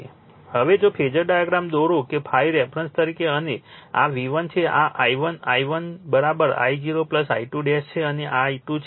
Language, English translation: Gujarati, Now, if you draw the phasor diagram that phi as a reference and this is your V 1 at this is I 1, I 1 is equal to your I 0 plus your I 2 dash